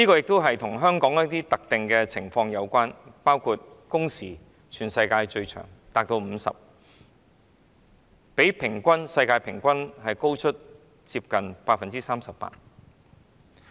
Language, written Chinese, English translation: Cantonese, 這亦與香港的一些特殊情況有關，包括全世界最長的工時，每星期50小時左右的工時比世界平均工時高出近 38%。, This has something to do with the special conditions in Hong Kong including the longest working hours in the world . The weekly working hours of around 50 is almost 38 % higher than the average working hours in the world